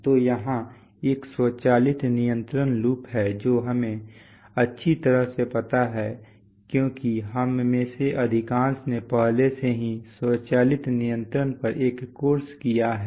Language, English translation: Hindi, So here is an automatic control loop, well known to us because we have most of us have already had a course on automatic controls